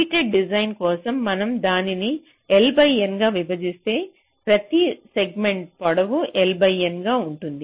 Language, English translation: Telugu, so if we divide it into l by n, so each of the segment will be of length l by n